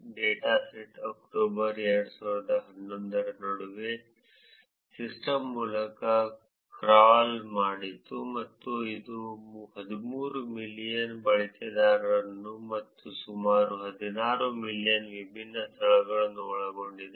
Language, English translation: Kannada, Dataset crawled between October 2011, through the system and it comprises of 13 million users and about close to 16 million different venues